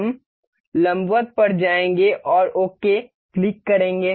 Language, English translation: Hindi, We will go to perpendicular and click ok